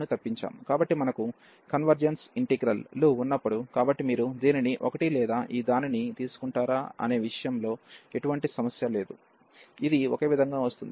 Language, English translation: Telugu, So, in the case when we have convergence integrals, so there is no problem whether you take this one or this one, this will come of the same